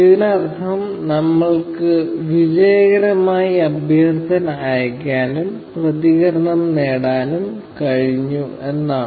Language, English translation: Malayalam, It means that, we were successfully able to send the request and get a response